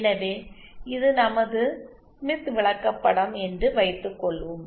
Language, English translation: Tamil, So let us suppose this is our smith chart ok